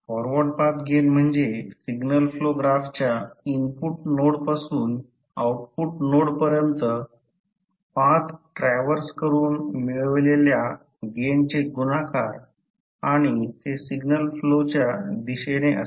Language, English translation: Marathi, Forward Path gain is the product of gain found by traversing the path from input node to the output node of the signal flow graph and that is in the direction of signal flow